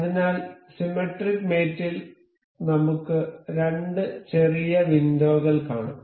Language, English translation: Malayalam, So, in the symmetric mate, we can see here two little windows